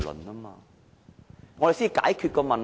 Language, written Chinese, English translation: Cantonese, 只有這樣才能解決問題。, Only if we do it in that way can we solve the problem